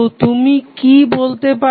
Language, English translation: Bengali, So, what you can say